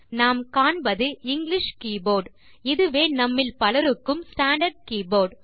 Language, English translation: Tamil, We now see the English keyboard which is the standard keyboard used most of us